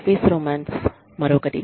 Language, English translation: Telugu, Office romance, is another one